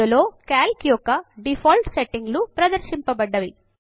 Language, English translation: Telugu, Displayed in each of these are the default settings of Calc